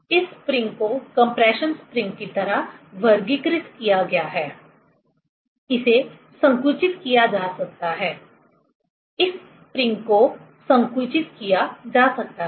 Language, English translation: Hindi, This spring is categorized like compression spring; it can be compressed, this spring can be compressed